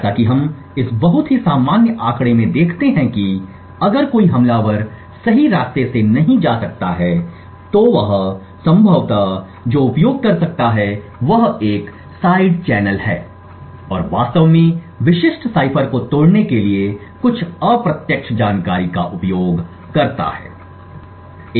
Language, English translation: Hindi, As we see in this very common figure is that if an attacker cannot go through the right way then what he could possibly use is a side channel and use some indirect information to actually break the specific cipher